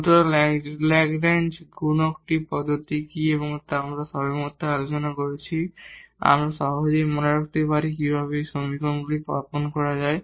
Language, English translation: Bengali, So, what is the method of the Lagrange multiplier which we have just discussed we can there is a way to remember easily how to set up these equations